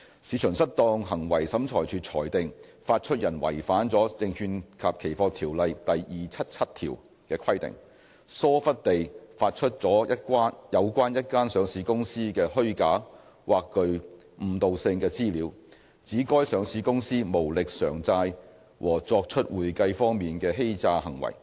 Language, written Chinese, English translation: Cantonese, 市場失當行為審裁處裁定，發出人違反了《證券及期貨條例》第277條的規定，疏忽地發出了有關一家上市公司的虛假或具誤導性的資料，指該上市公司無力償債和作出會計方面的欺詐行為。, MMT found that the issuer had breached section 277 of SFO for negligently issuing false or misleading information about a listed company alleging that the listed company was insolvent and had engaged in accounting fraud